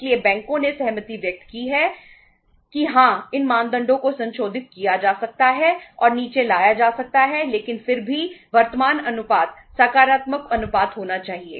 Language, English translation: Hindi, So uh the banks have agreed that yes these norms can be revised and can be brought down but still the current ratio has to be positive ratio